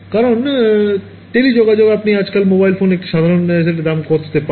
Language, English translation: Bengali, Because well telecom you how much you get an ordinary set of mobile phone for these days